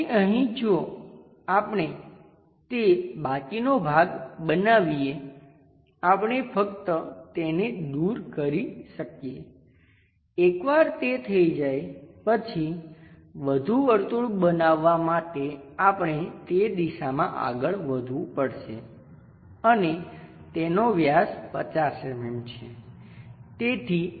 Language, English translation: Gujarati, So, here if we are making construct that the remaining portion we can just eliminate this, once that is done we have to move in that direction to construct one more circle and that is diameter 50 mm we have it